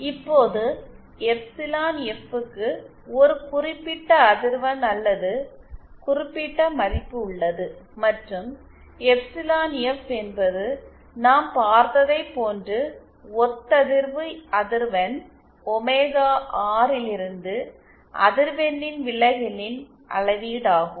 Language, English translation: Tamil, Now the, there is a particular frequency or particular value of this epsilon F, and epsilon F as we saw is a measure of the deviation of the frequency from the resonant frequency omega R